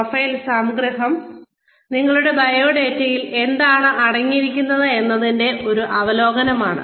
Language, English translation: Malayalam, Profile summary is an overview of, what is contained in your resume